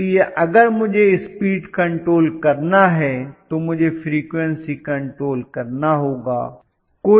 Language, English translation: Hindi, So, if I want to have a speed control, I have to have frequency control